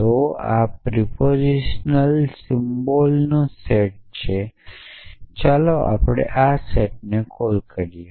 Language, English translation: Gujarati, So, this is the set of propositional symbols let us call this set p